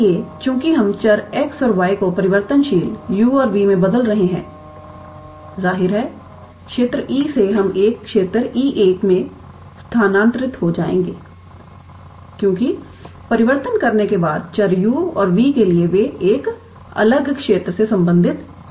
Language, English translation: Hindi, So, since we are transforming the variable x and y to the variable u and v so; obviously, from the region E we will get transferred to a region E 1 because for the variable u and v after doing the transformation they might belong to a different region